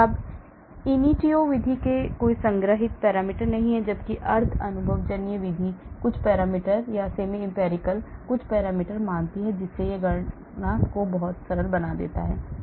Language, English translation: Hindi, There are no stored parameters in ab initio method whereas semi empirical methods assume some parameter so it makes the calculations much simpler